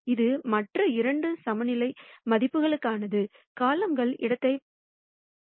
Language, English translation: Tamil, So, this is for the other two eigenvalues, span the column space